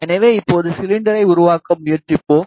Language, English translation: Tamil, So, now we will try to make the cylinder